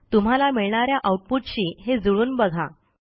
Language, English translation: Marathi, Match this according to the output you are getting